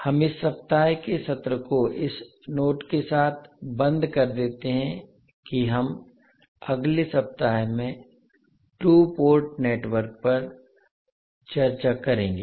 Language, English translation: Hindi, So we close this week’s session with this note that we will discuss the 2 port network in next week